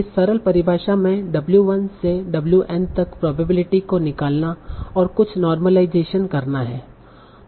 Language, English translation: Hindi, This is a simple definition of finding probability of this whole utterance, w1 and some normalization